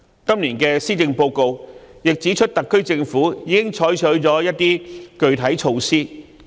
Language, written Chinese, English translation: Cantonese, 今年的施政報告亦指出特區政府已採取一些具體措施。, It is pointed out in the Policy Address this year that the SAR Government has adopted some concrete measures